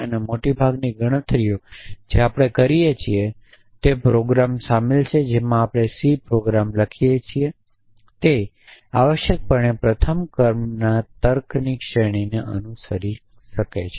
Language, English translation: Gujarati, And most of the computations that we do include including the program that we write C program will following to the category of first order logic essentially